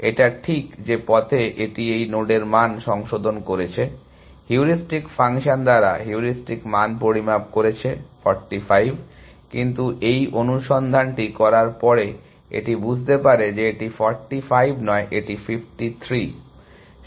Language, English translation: Bengali, It just that on the way, it has revise the value of this node, the heuristic value has measure by the heuristic function was 45, but after is done this search, it realizes that it is not 45, it is 53